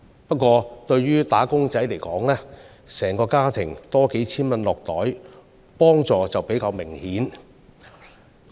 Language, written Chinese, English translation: Cantonese, 不過，對於"打工仔"而言，整個家庭能獲回贈數千元，幫助便較為明顯。, However a few thousand dollars tax rebate will mean a more significant relief for a wage earners family